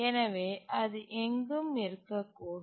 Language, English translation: Tamil, So it can be anywhere here